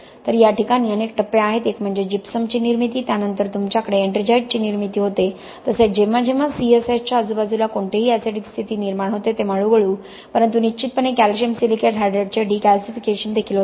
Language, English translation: Marathi, So you have several stages one is formation of gypsum, then you have formation of ettringite but slowly but surely you will also get the decalcification of the calcium silicate hydrate whenever any acidic condition is created around the C S H